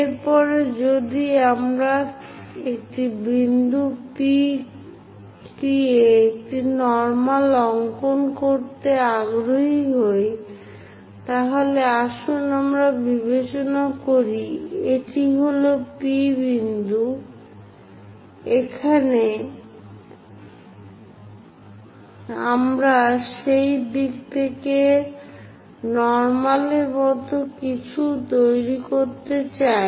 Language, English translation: Bengali, After that if we are interested in drawing a normal at a point P, let us consider this is the point P; here we would like to construct something like a normal in that direction